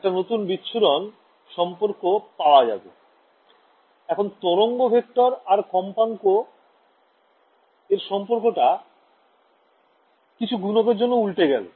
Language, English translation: Bengali, I have got a new dispersion relation, let us just say that right the relation between wave vector and frequency is now altered by some factor right